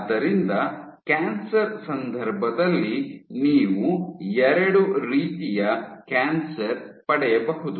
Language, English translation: Kannada, So, in case of cancer, you cannot get two types of cancer